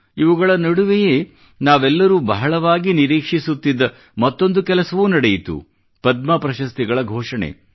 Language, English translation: Kannada, Amidst all of this, there was one more happening that is keenly awaited by all of us that is the announcement of the Padma Awards